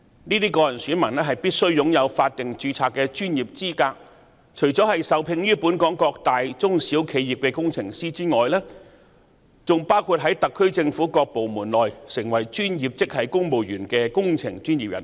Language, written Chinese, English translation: Cantonese, 該等個人選民必須擁有法定註冊的專業資格，除了受聘於本港各大中小企業的工程師外，還包括在特區政府各部門內成為專業職系公務員的工程專業人士。, Those individual electors must possess statutory registered professional qualifications . In addition to engineers employed by large medium or small enterprises in Hong Kong they also include engineering professionals among professional grade civil servants in various government departments of the SAR Government